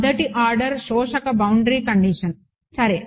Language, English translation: Telugu, 1st order absorbing boundary condition ok